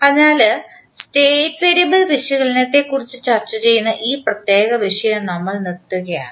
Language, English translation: Malayalam, So, we close our this particular topic where we discuss about the State variable analysis